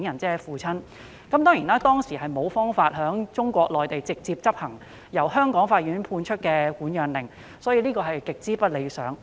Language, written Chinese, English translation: Cantonese, 當時有關當局無法在中國內地直接執行由香港法院判出的管養令，所以情況極不理想。, Since the custody order handed down by the Hong Kong court could not be enforced in the Mainland directly the situation was very undesirable